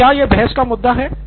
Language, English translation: Hindi, Is that debatable